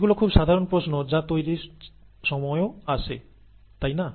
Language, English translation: Bengali, All these are very common questions that come about even while making tea, right